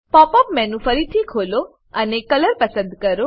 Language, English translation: Gujarati, Open the Pop up menu again and select Color